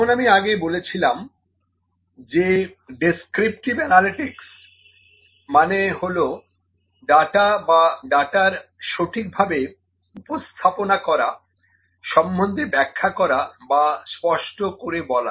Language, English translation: Bengali, As I said before descriptive analytics tells or it directs towards defining or explaining the data or presenting the data in a proper way